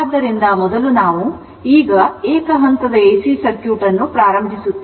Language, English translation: Kannada, So, first we will now we will start with Single Phase AC Circuit, right